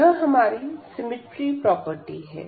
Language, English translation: Hindi, So, we have the symmetry property here